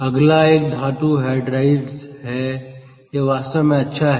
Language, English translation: Hindi, next one is metal hydrides